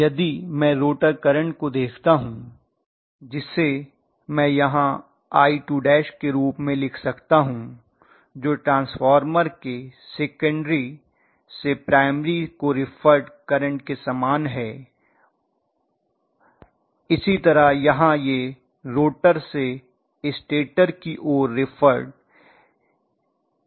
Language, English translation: Hindi, If I look at the rotor current, rotor current I may write it as I2 dash which is very similar to the current that is reflected from the secondary side of the transformer to the primary the same way here from the rotor side it is going to get reflected to the stator side